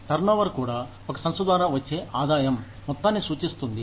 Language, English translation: Telugu, Turnover also, refers to the amount of revenue, generated by an organization